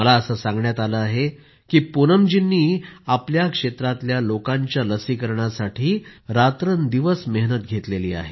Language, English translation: Marathi, I am given to understand that Poonam ji has persevered day and night for the vaccination of people in her area